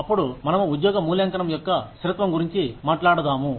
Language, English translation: Telugu, Then, we talk about, consistency of job evaluation